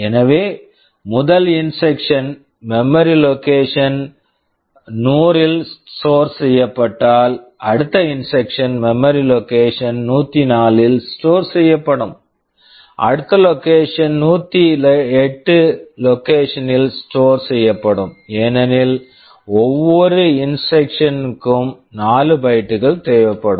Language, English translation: Tamil, So, if the first instruction is stored in memory location 100 the next instruction will be stored in memory location 104, next location will be stored in location 108, because each instruction will be requiring 4 bytes